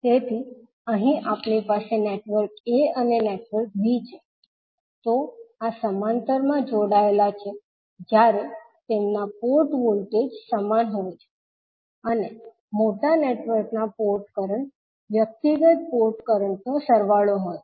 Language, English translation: Gujarati, So here we have network a and network b, so these are connected in parallel when their port voltages are equal and port currents of the larger networks are the sum of individual port currents